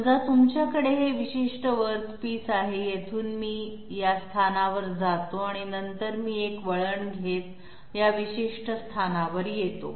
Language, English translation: Marathi, Suppose you are heading this particular body, from here I go up to this position and then I take a turn and come to this particular location